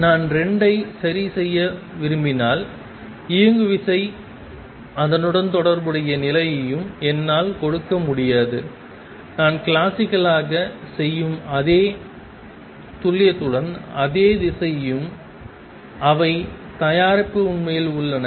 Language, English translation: Tamil, If I want to reconcile the 2 I cannot give the momentum and the associated position, the same direction with the same precision as I do classically and they product actually is h cross